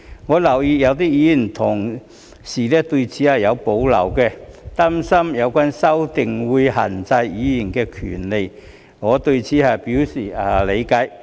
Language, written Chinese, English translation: Cantonese, 我留意到有些議員同事對此有保留，擔心有關修訂會限制議員的權利，我對此表示理解。, I notice that some fellow Members have reservations about this worrying that such amendments will restrict the rights of Members a point to which I understand